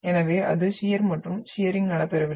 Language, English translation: Tamil, So it shear and the shearing is not taking place